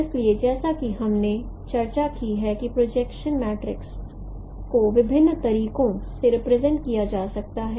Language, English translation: Hindi, So as we have discussed that projection matrix can be represented in different ways